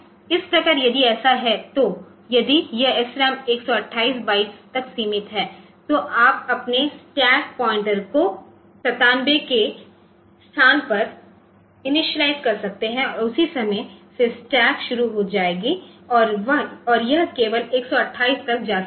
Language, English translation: Hindi, So, this I so in this if it is if it is SRAM is limited to 128 bytes so, you can initialize this your stack pointer to location 97 and from that point onward yield stack will start and it can go up to 128 only